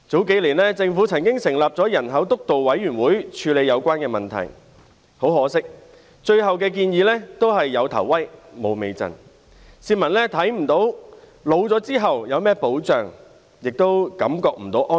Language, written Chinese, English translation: Cantonese, 數年前，政府曾成立人口政策督導委員會處理有關問題，但很可惜，最後的建議卻是"有頭威，無尾陣"，市民看不到年老後有何保障，亦無法感到安心。, Several years ago the Government set up the Steering Committee on Population Policy to deal with the relevant issues . Unfortunately the final recommendations can be described with the saying started with a bang but ended with a fizzle as the public cannot see what protection they will have in old age nor can they put their minds at ease